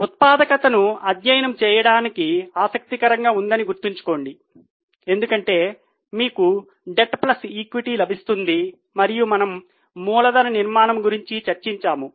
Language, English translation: Telugu, Keep in mind that it is interesting to study manufacturing because you get debt plus equity and we have discussed about capital structure